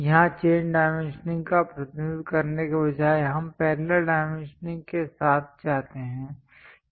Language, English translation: Hindi, Here, representing chain dimension instead of that we go with parallel dimensioning